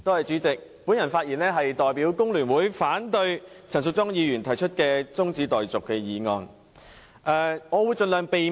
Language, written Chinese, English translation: Cantonese, 主席，我發言是代表工聯會反對陳淑莊議員提出的中止待續議案。, President on behalf of the Hong Kong Federation of Trade Unions I speak in opposition to the adjournment motion moved by Ms Tanya CHAN